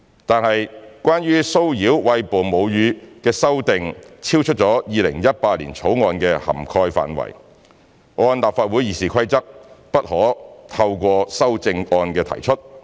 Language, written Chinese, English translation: Cantonese, 但是，關於騷擾餵哺母乳女性的修訂超出《2018年條例草案》的涵蓋範圍，按立法會《議事規則》不可透過修正案提出。, However the amendments relating to harassment of breastfeeding women were outside the scope of the 2018 Bill and could not be proposed by way of Committee stage amendments CSAs according to the Rules of Procedure of the Legislative Council